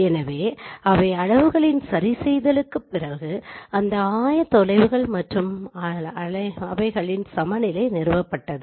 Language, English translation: Tamil, So those are equated in terms of the after the scale adjustment those coordinates are their equivalence is established